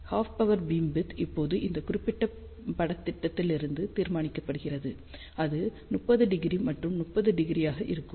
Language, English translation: Tamil, So, half power beamwidth can be now determined from this particular plot and that will be 30 degree and 30 degree